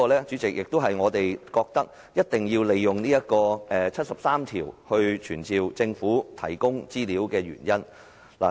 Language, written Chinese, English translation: Cantonese, 主席，這是我們認為必須根據《基本法》第七十三條傳召政府提供資料的原因。, President this is the reason why I think it is necessary to summon the Government to provide information in pursuant of Article 73 of the Basic Law